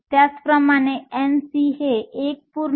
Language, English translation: Marathi, Similarly N v is 1